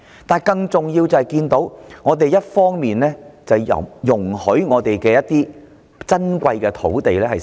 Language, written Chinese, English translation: Cantonese, 但是，更重要的是，我們看到政府一方面容許香港的珍貴土地遭閒置。, Yet the more important thing is we notice that the Government is letting Hong Kongs precious land to lie idle